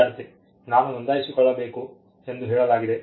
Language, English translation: Kannada, Student: I told even have to register